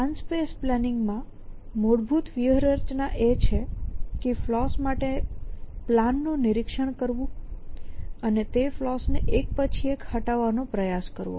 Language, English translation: Gujarati, So, the basic strategy in plan space planning is to inspect the plan for flaws and try to resolve those flaws one by one essentially